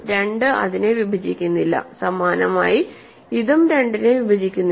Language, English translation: Malayalam, 2 does not divide this similarly this also does not divide 2